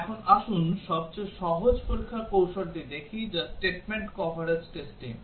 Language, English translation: Bengali, Now, let us look at the simplest testing strategy which is the statement coverage testing